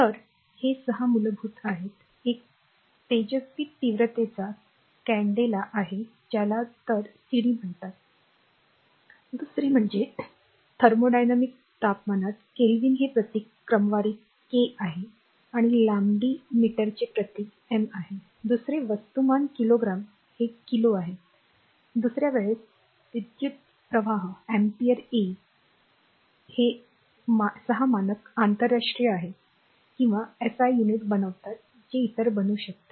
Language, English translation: Marathi, So, this is the your six basic, one is luminous intensity candela that is it call cd, another is the thermodynamic temperature Kelvin in sort in your symbol is K and is the length meter symbol is m, another is mass kilogram it is kg, another is time it is second, an electric current in ampere A this is the 6 standard international or your what you call SI units form which other can be other can be obtain